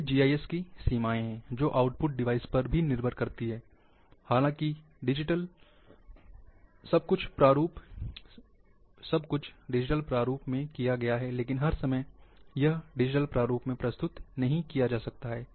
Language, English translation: Hindi, These are the limitations of GIS, which depends on output device,because ultimately,though the data, everything has been done digitally, now everything cannot be all the time presented in digital format